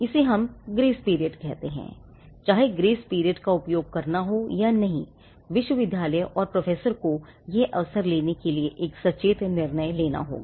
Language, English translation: Hindi, So, this is what we call the grace period, whether to use the grace period or not the university and the professor will have to take a conscious decision whether to take that call